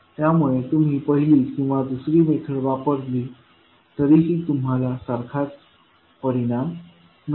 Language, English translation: Marathi, So whether you use first method or second method, you will get the same result